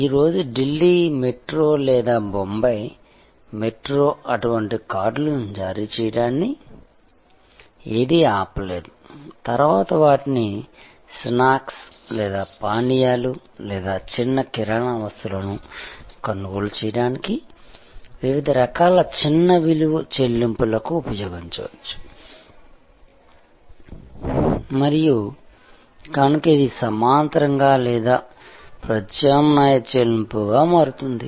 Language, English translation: Telugu, Today, nothing stops Delhi Metro or Bombay Metro to issue such cards, which can then be used for different kinds of small value payments for buying snacks or drinks or small grocery items and so it becomes a parallel or an alternate firm of payment